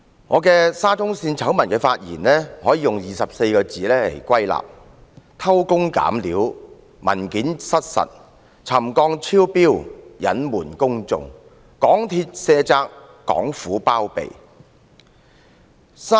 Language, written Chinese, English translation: Cantonese, 我就沙中線醜聞的發言，可以歸納為24個字："偷工減料，文件失實；沉降超標，隱瞞公眾；港鐵卸責，港府包庇。, My speech in respect of the SCL scandal can be summarized into just a few words jerry - building with false documents; concealment of settlement exceedance; shirking of responsibilities by MTRCL and harbouring by the Hong Kong Government